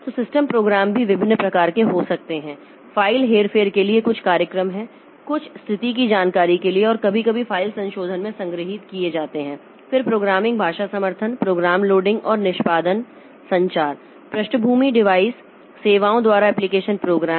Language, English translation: Hindi, There are some programs for file manipulation, some for status information and sometimes stored in a file modification, then programming language support, program loading and execution, communication, background device services and application program